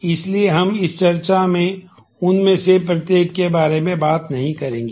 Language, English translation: Hindi, So, we will not go through each one of them in this discussion